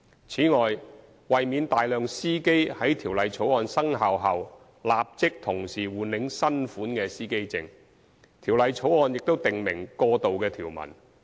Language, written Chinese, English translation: Cantonese, 此外，為免大量司機在《條例草案》生效後立即同時換領新款司機證，《條例草案》亦訂明過渡條文。, Moreover to avoid causing a large number of drivers to apply for the new driver identity plates all at once upon the commencement of the Bill a transitional provision is provided in the Bill